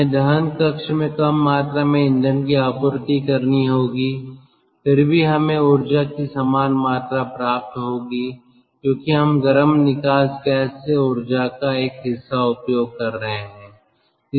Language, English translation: Hindi, we have to supply less amount of fuel in the combustion chamber to have the same amount of energy, because part of the energy we are utilizing from the hot exhaust gas